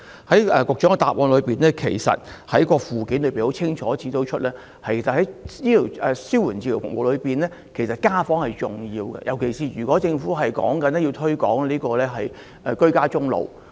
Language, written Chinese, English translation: Cantonese, 其實局長主體答覆的附件已清楚指出，在紓緩治療服務當中，家訪是十分重要的，尤其是政府若要鼓勵和推廣居家終老的話。, In fact it has been clearly stated in the Annex to the Secretarys main reply that home visits are very important when speaking of palliative care services especially if the Government intends to encourage and promote dying - in - place . I have this question for the Secretary